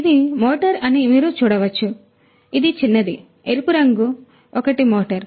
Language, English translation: Telugu, So, underneath as you can see this is a motor this is the small one, the red colored one is a motor